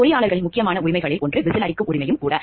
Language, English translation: Tamil, One of the important rights of the engineers are also the right to whistle blowing